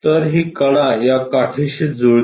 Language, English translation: Marathi, So, this edge coincides with this edge